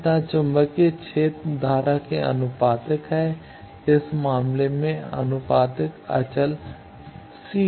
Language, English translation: Hindi, Similarly, the magnetic field is meant made proportional to the current the constant of proportionality in this case is c 2